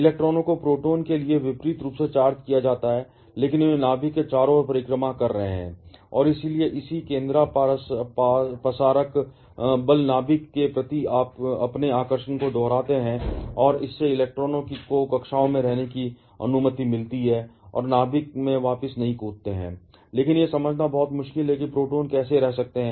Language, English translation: Hindi, Electrons are oppositely charged to protons, but they are orbiting around the nucleus and therefore corresponding centrifugal force repulse their attraction towards the nucleus and that allows a electrons to stay in the orbits and not jump back to the nucleus, but it is very difficult to understand how protons can stay there